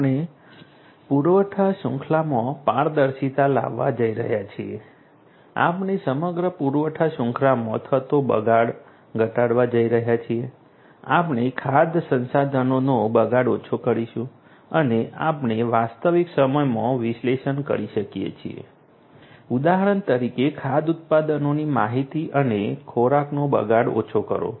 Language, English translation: Gujarati, We are going to have transparency of the supply chain, we are going to minimize the wastage in the entire supply chain, we are going to have minimized wastage of food resources, we can analyze in real time foe example the information of food products and reduce the food wastage